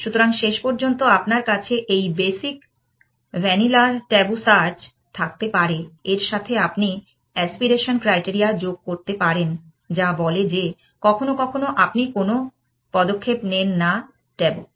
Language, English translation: Bengali, So, in the end of course, you can have this basic vanilla tabu search than you can add the aspiration criteria to say that, sometimes you do not make moves tabu